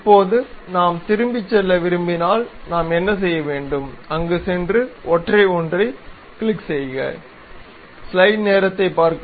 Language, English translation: Tamil, Now, if we want to go back, what we have to do, go there click the single one